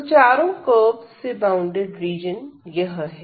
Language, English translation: Hindi, So, the region bounded by all these 4 curves is this one